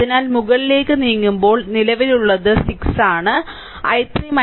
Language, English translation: Malayalam, So, the current going when moves upwards, it is 6 into i 3 minus i 1